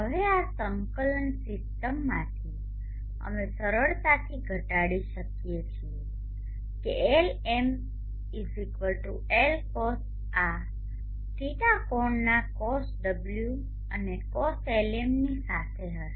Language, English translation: Gujarati, Now from this coordinate system we can easily reduce that Lm=Lcos of this angle d and cos